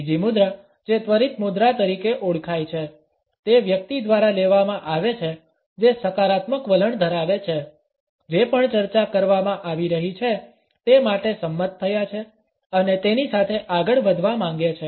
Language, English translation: Gujarati, The second posture is known as instant by posture; it is taken up by a person who has a positive attitude, has agreed to whatever is being discussed and wants to move on with it